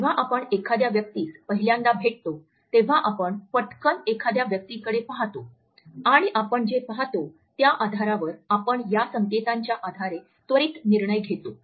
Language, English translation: Marathi, When we meet a person for the first time then we quickly glance at a person and on the basis of what we see, we make an immediate judgment on the basis of these cues